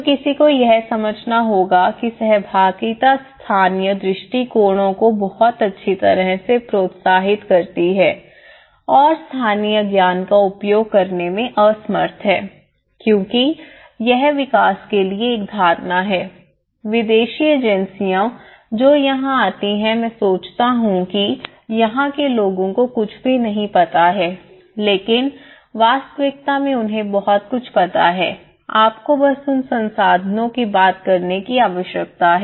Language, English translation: Hindi, So one has to understand that interaction that is where participatory approaches are very well encouraged and inability to access local knowledge because this is one perception to development they think that the foreign agencies whoever comes within that these people doesnÃt know anything one has to understand that they know many things one need to tap that resources